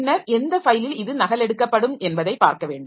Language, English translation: Tamil, Then I have to see to which file this has this is this will be copied